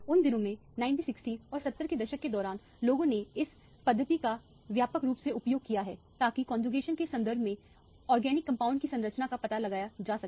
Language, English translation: Hindi, In those days, during the 1960s and 70s, people have extensively used this methodology to find out the structure of organic compounds in terms of the conjugation and so on